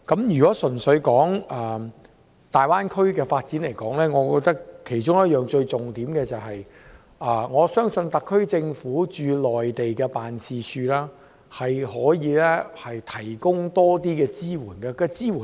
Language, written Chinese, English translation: Cantonese, 如果純粹說粵港澳大灣區的發展，我覺得其中一個最重點，是特區政府駐內地的辦事處可以提供較多支援。, If we simply talk about the development of the Guangdong - Hong Kong - Macao Greater Bay Area I think a major point is that the SAR Government should provide more support through its offices in the Mainland